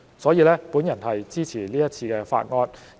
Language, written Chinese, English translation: Cantonese, 所以，我支持這項法案。, For these reasons I support this Bill